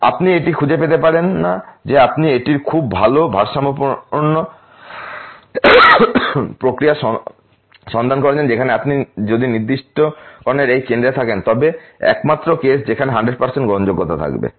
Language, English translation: Bengali, You do not find that to happen you find out that its very well balanced process where if you are exactly at this center of the specifications that would be a only case where would have 100% acceptance ok